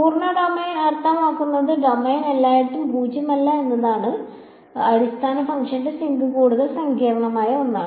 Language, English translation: Malayalam, Full domain means it is nonzero everywhere in the domain the basis function sink is a more complicated something simpler